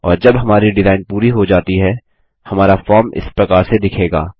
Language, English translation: Hindi, And once we are done with our design, this is how our form will look like